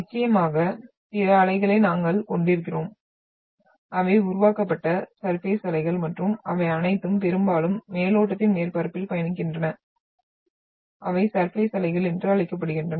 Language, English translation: Tamil, Then of course, we are having other waves which we say the surface waves which are done generated and the later stage and they all mostly travel along the surface of the crust and they are termed as the surface waves